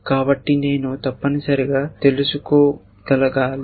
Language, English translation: Telugu, So, I should able to know that essentially